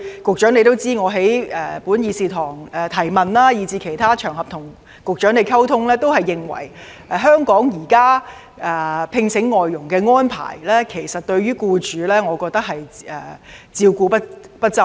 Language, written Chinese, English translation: Cantonese, 局長也知道，我過去在本議事堂提問及在其他場合與局長溝通時，均表示現時香港聘請外傭的安排對僱主照顧不周。, As the Secretary may be aware when I raised questions in this Chamber and exchanged views with the Secretary on other occasions in the past I said that FDH employers were not given adequate support under the FDH employment arrangement currently in place in Hong Kong